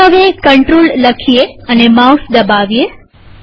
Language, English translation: Gujarati, Let us now type the text Control and click the mouse